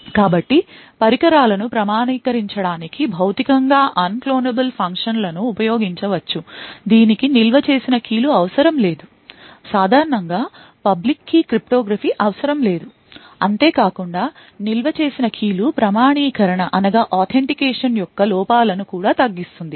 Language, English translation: Telugu, So, Physically Unclonable Functions can be used for authenticating devices, it does not have require any stored keys, typically does not require any public key cryptography, and furthermore it also, alleviates the drawbacks of authentication with the stored keys